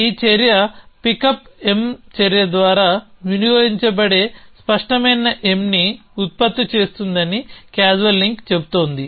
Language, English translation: Telugu, Casual link says this action is producing clear m which is consumed by this pickup M action